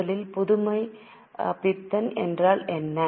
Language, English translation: Tamil, What is meant by innovation first of all